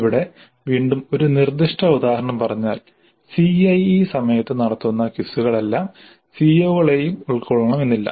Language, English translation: Malayalam, Here again in a specific instance the quizzes that are conducted during the CAE may not cover all the COs